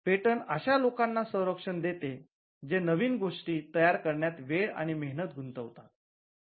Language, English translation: Marathi, So, patents grant a protection for people who would invest time and effort in creating new things